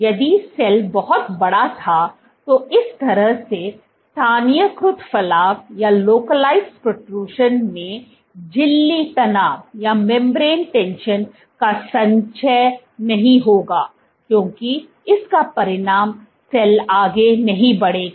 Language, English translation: Hindi, If the cell was huge then this kind of localized protrusion would not lead to accumulation of membrane tension as a consequences cell would not move forward